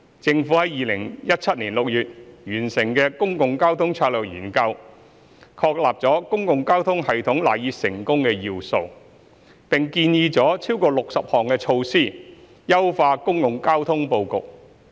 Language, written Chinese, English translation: Cantonese, 政府在2017年6月完成的《公共交通策略研究》，確立了公共交通系統賴以成功的要素，並建議了超過60項措施優化公共交通布局。, The Public Transport Strategy Study completed by the Government in June 2017 reaffirmed the key factors underpinning the success of the public transport system and recommended over 60 measures to enhance the arrangement of public transport system